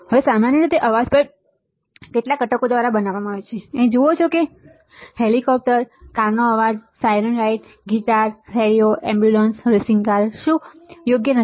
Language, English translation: Gujarati, Now, in general the noise is also created by the several components, you see here chopper, noise of a car, siren right, guitar, radio, ambulance, racing car, and what not and what not right